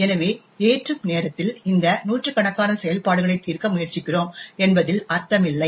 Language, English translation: Tamil, So, it does not make sense that at loading time we try to resolve all of these hundreds of functions